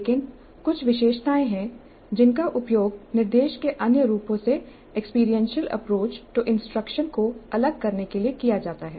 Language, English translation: Hindi, But there are certain features which are used to distinguish experiential approach to instruction from other forms of instruction